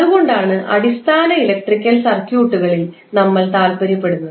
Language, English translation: Malayalam, So, that is why we were interested in another phenomena called basic electrical circuits